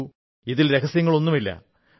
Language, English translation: Malayalam, Now, there is no secret in this